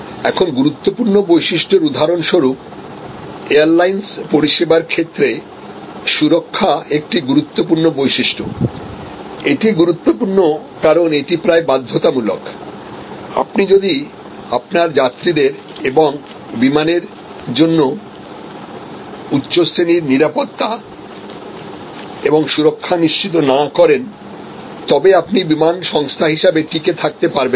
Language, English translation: Bengali, Now, important attribute for example, in airlines service safety will be an important attribute, but what happens, because it is important, because it is almost mandatory you cannot survive as an airline service unless you ensure top class security and safety for your passengers for your aircraft